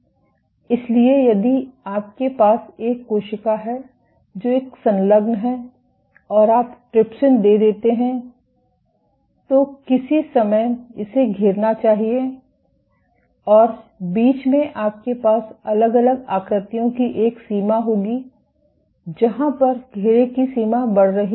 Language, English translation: Hindi, So, if you have a cell which is an adherent and you add trypsin give then at some point of time it should round up and in between you would have a range of different configurations where, the extent of rounding up is increasing